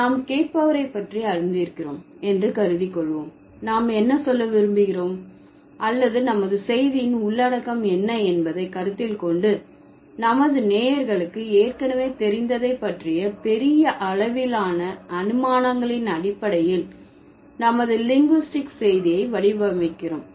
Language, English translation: Tamil, So, what we do, considering we assume the listener knows about it, what we want to say or what is the context of our message, we design our linguistic message on the basis of the large scale assumptions about what our listeners already know